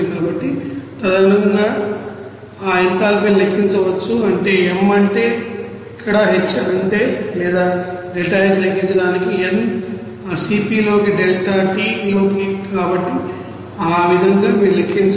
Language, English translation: Telugu, So, accordingly that enthalpy can be calculated simply what is that M that means here H will be or deltaH to be calculated N into you know that Cp here into delta t, so in this way you have to calculate